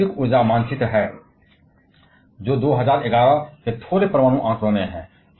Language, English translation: Hindi, This is a global energy map, slightly old data of 2011